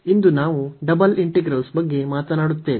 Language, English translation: Kannada, And today, we will be talking about Double Integrals